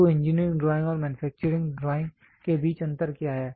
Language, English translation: Hindi, So, what is the difference between the engineering drawing and manufacturing drawing